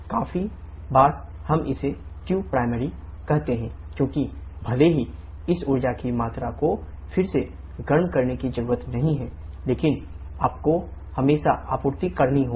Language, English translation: Hindi, Quite often we call this to be qprimary, because even if there is no reheating this amount of energy you always have to supply